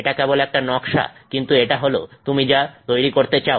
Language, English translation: Bengali, This is just a schematic but this is what you will want to create